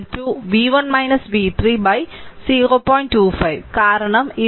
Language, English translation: Malayalam, 25 because this 2